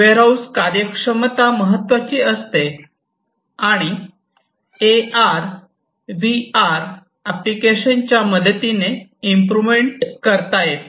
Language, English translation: Marathi, The efficiency of warehouses is also very important and these can be improved using different AR applications